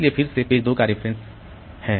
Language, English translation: Hindi, So, again there is a reference to page 2